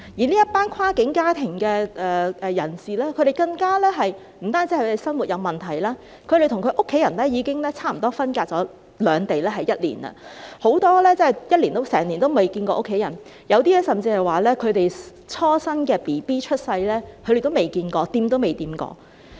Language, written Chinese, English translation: Cantonese, 這一群跨境家庭的人士更不止是生活有問題，他們與家人已經分隔兩地差不多一年，很多人真的一年來都未曾與家人見面，有些人甚至連自己初生的嬰兒也未看過，未碰過。, In addition to facing livelihood problems this group of people from cross - boundary families are also separated from their family members for almost one year . Many of them really have not seen their family members for one year and some have not even met or touched their newborn babies